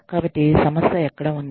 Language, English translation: Telugu, So, where the problem lay